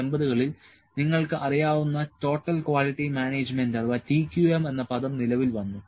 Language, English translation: Malayalam, So, in 1980s the term you people might be knows Total Quality Management came into play